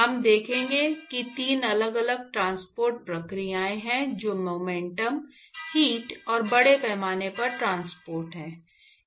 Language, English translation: Hindi, We will show that there are 3 different transport processes which are momentum, heat and mass transport